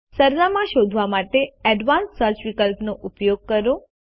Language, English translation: Gujarati, Use the Advanced Search option to search for addresses